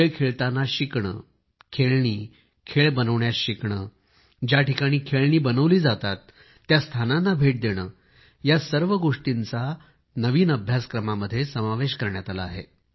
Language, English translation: Marathi, Learning while playing, learning to make toys, visiting toy factories, all these have been made part of the curriculum